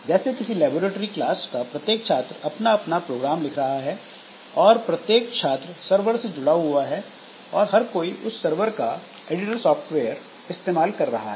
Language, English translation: Hindi, So, each student in a laboratory class may be writing their own programs and all of them connected to a server and they are all using the editor software of the server